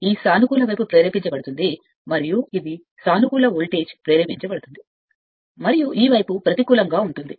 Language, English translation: Telugu, So, this will be positive side induced and this will be the your positive voltage will induced and this side is negative right